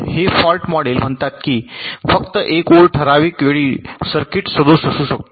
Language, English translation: Marathi, this fault model says that only one line of the circuit can be faulty at a given time